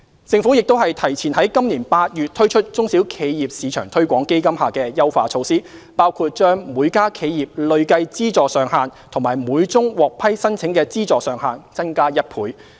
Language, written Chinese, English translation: Cantonese, 政府亦提前於今年8月推出中小企業市場推廣基金下的優化措施，包括把每家企業累計資助上限及每宗獲批申請的資助上限增加1倍。, The Government has also advanced the launch of the enhancement measures to the SME Export Marketing Fund EMF to August 2018 including doubling the cumulative funding ceiling per SME and the maximum funding per application